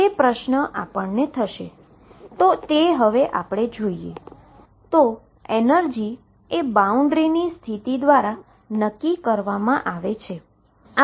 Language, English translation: Gujarati, So, the energy is determined by boundary conditions